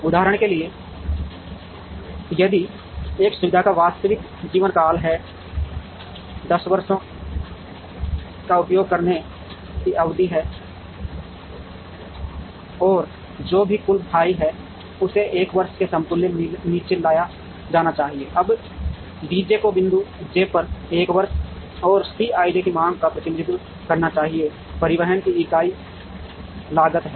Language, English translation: Hindi, For example, if this facility has a realistic life span or a period of use of say 10 years and whatever is the total f i should be brought down to equivalent 1 year, now d j should represent the demand at point j for 1 year and C i j is the unit cost of transportation